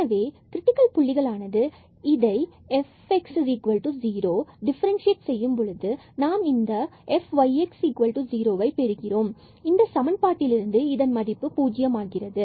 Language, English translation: Tamil, So, the critical points by differentiating F x is equal to 0 we will get this equation F y is equal to 0, we will get this equation and F y z is equal to 0 we will get this equation